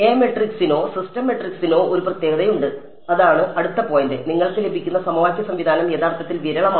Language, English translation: Malayalam, There is a speciality of the A matrix or the system matrix and that is the next point the system of equation that you get is actually sparse ok